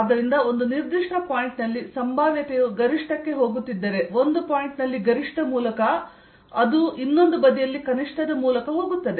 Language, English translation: Kannada, right, and therefore at a given point, if the potential is going to a maxim through a maximum at one point, it will go through a minimum on the other side